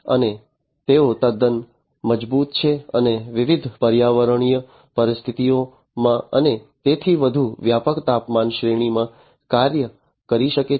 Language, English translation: Gujarati, And they are quite robust and can operate in broad temperature ranges, under different varied environmental conditions and so on